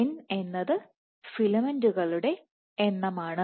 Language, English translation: Malayalam, So, n is the number of filaments ok